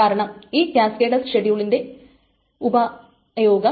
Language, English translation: Malayalam, That is the effect of this cascadless schedules